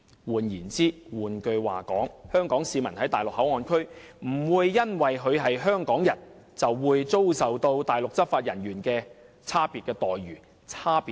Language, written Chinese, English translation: Cantonese, 換言之，香港市民在內地口岸區內不會因為他是香港人，便遭受內地執法人員的差別待遇和對待。, In other words Hong Kong citizens will not be subjected to differential treatment by Mainland law enforcement officers in MPA on account of being Hong Kong people